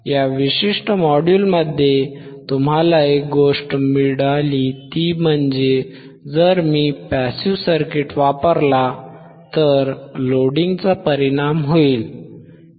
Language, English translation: Marathi, The one thing that you got in this particular module is that, if I use a passive circuit, passive circuit then there will be a effect of Loading